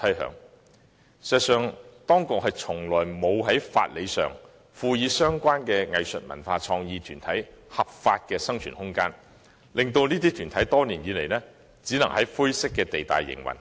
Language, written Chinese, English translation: Cantonese, 事實上，當局從來沒有立法賦予相關藝術文化創意團體合法的生存空間，令這些團體多年來只可以在灰色地帶營運。, In fact the authorities have never enacted legislation to give arts cultural and creative groups legal room for survival . For this reason these groups have only been operating in grey areas for many years